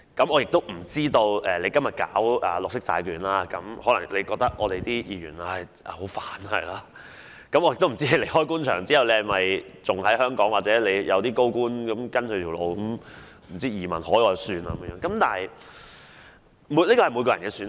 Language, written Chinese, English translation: Cantonese, 我不知道今天推行綠色債券的你會否認為議員很麻煩，亦不知道當你離開官場後會留在香港還是如其他高官般移民海外，這是各人的選擇。, I do not know whether you who seek to launch green bonds today will see Members as troublemakers nor do I know whether you after leaving the Government will stay in Hong Kong or migrate abroad just like what other senior officials did . It is ones personal choice